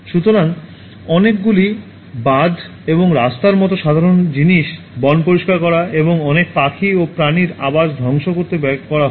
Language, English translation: Bengali, So, the simple thing like many dams and roads are constructed at the cost of clearing forests and destroying the habitat of many birds and animals